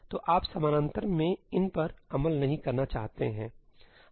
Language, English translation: Hindi, So, you do not want to execute these in parallel